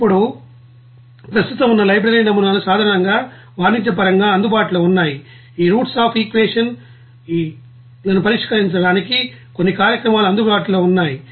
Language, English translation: Telugu, Now what are the you know existing library models generally available of commercially like you know that the roots of equations there is some programs available to solve these roots equations